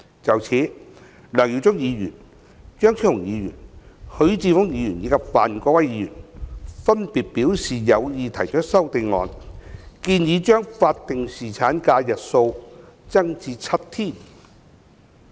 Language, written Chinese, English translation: Cantonese, 就此，梁耀忠議員、張超雄議員、許智峯議員及范國威議員，分別表示有意提出修正案，建議將法定侍產假日數增加至7天。, In this connection Mr LEUNG Yiu - chung Dr Fernando CHEUNG Mr HUI Chi - fung and Mr Gary FAN have separately indicated their intention to propose an amendment to extend the duration of statutory paternity leave to seven days